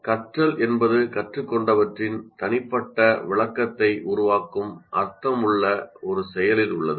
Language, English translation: Tamil, Learning is an active process of making sense that creates a personal interpretation of what has been learned